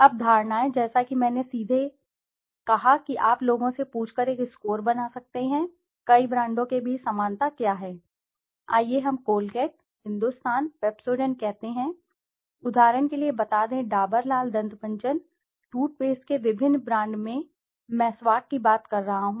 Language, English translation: Hindi, Now perceptions, as I said directly you can have a perception score by just asking people what is the similarity between the several brands, let us say Colgate, Hindustan, Pepsodent, let us say for example Dabur, Lal Dant Manjan, different brands of toothpaste I am talking about, Meswak